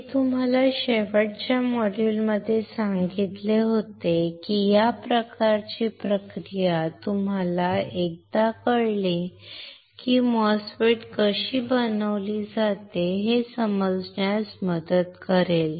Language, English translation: Marathi, I told you in the last module that this kind of process once you know it will help you to understand how the MOSFET is fabricated